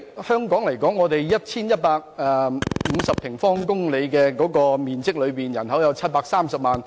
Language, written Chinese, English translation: Cantonese, 香港佔地 1,150 平方公里，人口有730萬。, With a land area of 1 150 sq km Hong Kong has a population of 7.3 million